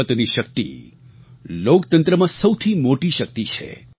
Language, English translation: Gujarati, The power of the vote is the greatest strength of a democracy